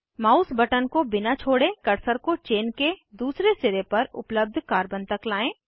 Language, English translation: Hindi, Without releasing the mouse button, bring the cursor to the carbon present at the other end of the chain